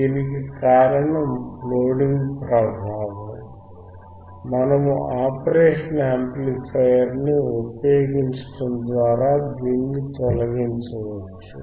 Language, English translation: Telugu, Since, loading effect, which we can remove if we use the operational amplifier if we use the operational amplifier that